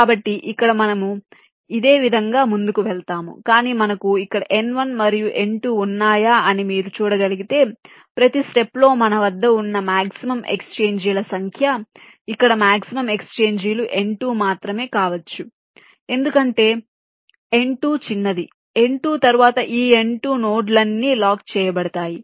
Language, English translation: Telugu, but if you can see, if we had n one and n two here, for at every step the maximum number of exchanges that we can have, maximum exchanges, can only be n two here, because n two is smaller after n two